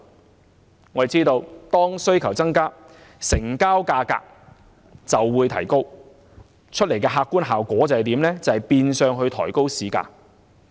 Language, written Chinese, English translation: Cantonese, 眾所周知，當需求增加，成交價格就會提高，客觀效果是變相抬高市價。, As we all know prices increase when demand increases and the objective effect of it is pushing up market prices